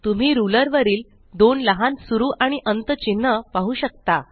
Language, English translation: Marathi, Can you see two small start and end marks on the ruler